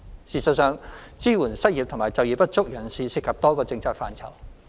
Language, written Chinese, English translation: Cantonese, 事實上，支援失業及就業不足人士涉及多個政策範疇。, In fact the provision of support for the unemployed and underemployed involves a number of policy areas